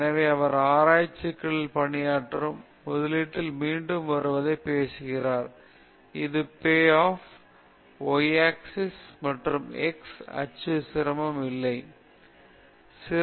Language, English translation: Tamil, So, he talks about the return in investment on working on a research problem; that is payoff y axis, and the x axis, the difficulty level